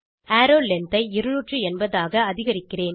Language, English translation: Tamil, I will increase the arrow length to 280